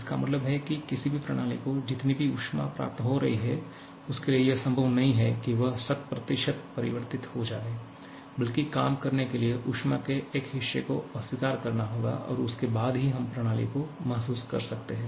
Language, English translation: Hindi, That means whatever amount of heat a system is receiving, it is not possible for it to convert 100% of that to work rather a portion of the heat has to be rejected and then only we can realize the system